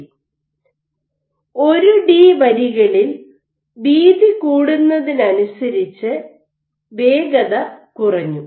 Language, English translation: Malayalam, In 1 D lines as your increase in width your speed dropped